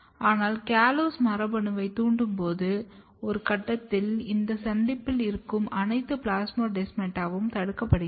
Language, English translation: Tamil, But when you induce CALLOSE gene, a different time point essentially you are blocking all the plasmodesmata which are present at this junction